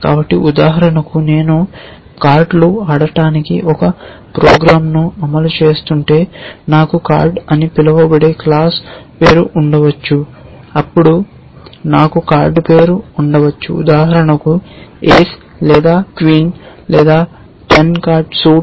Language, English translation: Telugu, So, for example, if I am implementing a program to play cards, I might have a class name called card then I might have a name of a card for example, ace or queen or 10 the suit of a card